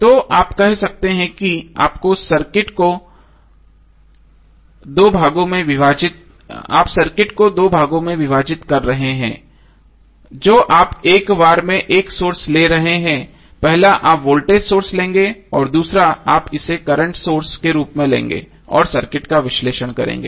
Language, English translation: Hindi, So you can say that you are dividing the circuit in 2 parts you are taking 1 source at a time so first you will take voltage source and second you will take as current source and analyze the circuit